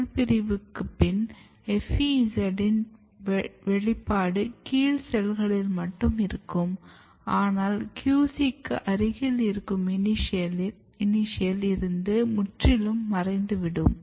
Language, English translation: Tamil, After this cell division the expression of FEZ remains in the lower cells, but it totally and immediately very quickly disappears from the initials which are close to the QC